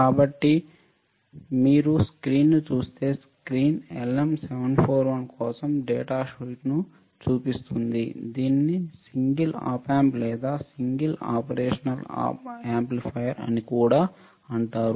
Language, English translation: Telugu, So, if you see the screen the screen shows the data sheet for LM 741, it is also called single op amp or single operational amplifier